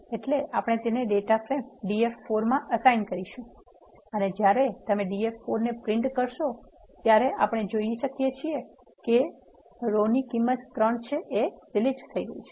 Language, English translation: Gujarati, So, and we are assigning that 2 data from df df4 and when you print the df4 we can see that the row which is having the entry 3 is deleted from the data frame